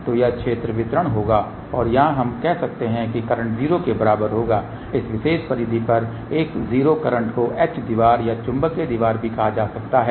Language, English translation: Hindi, So, that will be the field distribution and over here we can say current will be equal to 0 a 0 current at this particular periphery can be also termed as H wall or magnetic wall